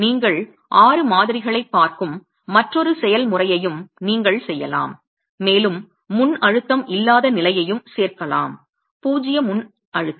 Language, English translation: Tamil, You could also have another procedure where you're looking at six specimens and also include a state where there is no pre compression, zero pre compression